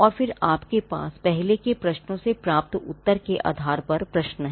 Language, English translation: Hindi, And then you have follow up questions based on the answer you received from the earlier questions